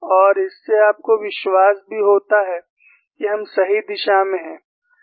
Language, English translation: Hindi, And it also gives you confidence that we are in the right direction